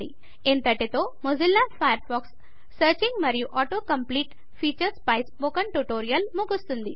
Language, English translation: Telugu, This concludes this tutorial of Mozilla Firefox Searching and Auto complete features